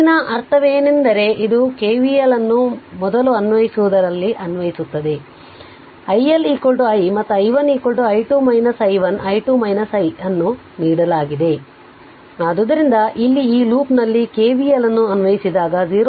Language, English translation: Kannada, So, next that means if you look into this you apply KVL here first in you apply that is whatever given the i 1 is equal to i and i 1 is equal to i 2 minus i 1 is equal to i 2 minus i, so here you apply KVL in this loop right